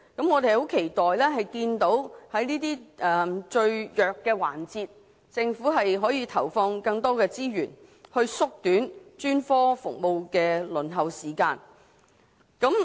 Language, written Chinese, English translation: Cantonese, 我們期待政府在這些最弱環節投放更多資源，縮短專科服務的輪候時間。, We hope that the Government will allocate more resources to these weakest links in order to shorten the waiting time for specialist services